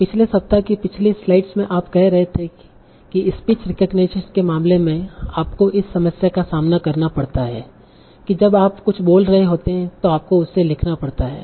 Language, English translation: Hindi, Remember one of the earlier slides in our last week we were saying in this case of speech recognition you face this problem that when we are uttering something you have to trans you have to transcribe that